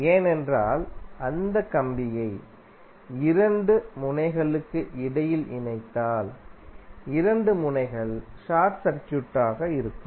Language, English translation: Tamil, Because if you connect that wire through between 2 nodes then the 2 nodes will be short circuited